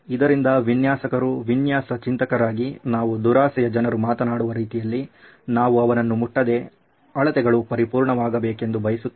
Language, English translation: Kannada, So as designers, as design thinkers, we are in a manner of speaking greedy people, we want no touching and we want measurements to be perfect